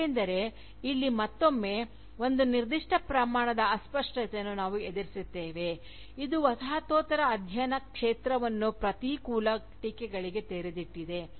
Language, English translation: Kannada, Because, here again, we encounter a certain degree of vagueness, which has opened up the field of Postcolonial studies, to adverse Criticism